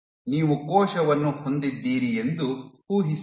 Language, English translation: Kannada, So, imagine you have a cell